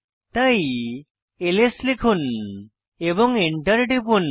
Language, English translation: Bengali, So lets type ls and press Enter